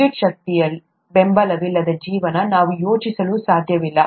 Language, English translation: Kannada, We cannot even think of a life without support from electricity